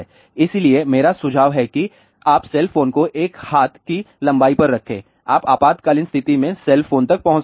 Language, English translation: Hindi, So, I recommend that you keep the cell phone at an arms length so, you can reach the cell phone in emergency